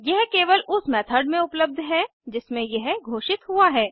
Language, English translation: Hindi, It is available only to the method inside which it is declared